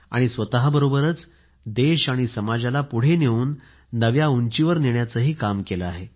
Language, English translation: Marathi, Not only has she advanced herself but has carried forward the country and society to newer heights